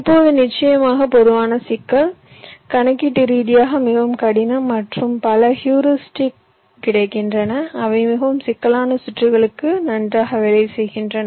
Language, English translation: Tamil, now the general problem of course is very difficult, computational, complex and many heuristics are available which work pretty well for very complex circuits